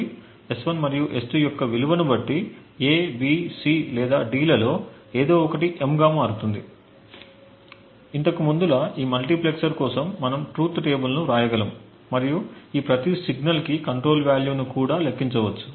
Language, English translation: Telugu, So depending on the value of S1 and S2 either A, B, C or D gets switched into M, as before we can actually write the truth table for this multiplexer and we could also compute the control value for each of these signals